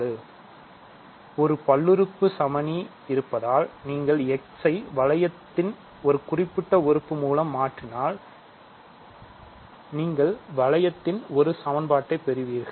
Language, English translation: Tamil, So, if you have a polynomial identity, if you replace x by a specific element of the ring; you get an equation in the ring